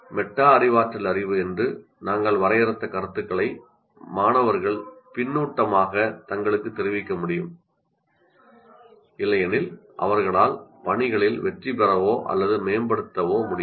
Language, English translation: Tamil, Students need to be able to give themselves feedback, that is what we defined also as metacognitive knowledge while they are working, otherwise they will be unable to succeed with tasks or to improve